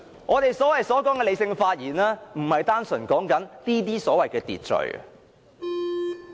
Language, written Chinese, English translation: Cantonese, 我們所說的理性發言，不是單純指這些所謂的"秩序"。, By rational speeches however I am referring to something beyond the so - called order of this kind